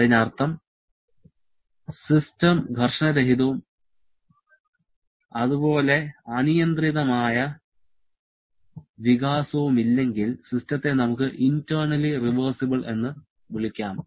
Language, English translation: Malayalam, That is if the system is frictionless and there is no unrestrained expansion, then we can call the system to be internally reversible